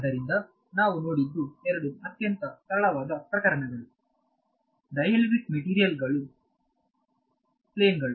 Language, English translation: Kannada, So, what we have looked at is two very very simple cases dielectric material plane I mean without loss and with loss